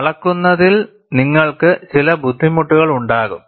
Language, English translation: Malayalam, You will have certain difficulty in measurement